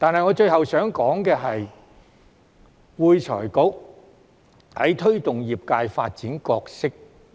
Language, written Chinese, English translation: Cantonese, 我最後想說的是會財局在推動業界發展的角色。, Lastly I would like to talk about the role of AFRC in promoting the development of the industry